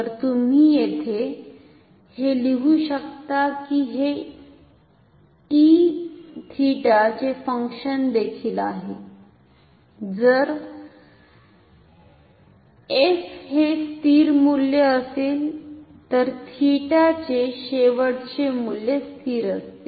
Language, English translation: Marathi, So, here so, you can write it with this is also function of t this is also function of t theta if f is constant final value of theta is a constant